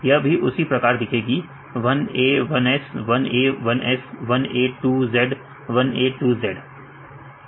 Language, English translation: Hindi, So, this is the you can see the same for example, one a one s, one a one s, one a two z, one a two z